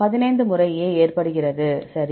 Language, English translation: Tamil, 15 times A occurs, right